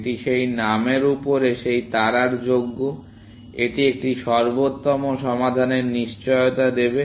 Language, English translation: Bengali, It is worthy of that star on top of that name, that it will guarantee an optimal solution